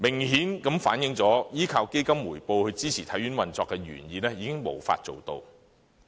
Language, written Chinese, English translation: Cantonese, 顯而易見，依靠基金回報來支持體院運作的原意已經無法達成。, It is evident that the plan to fully support the operation of HKSI by the investment return of the Fund has failed to be realized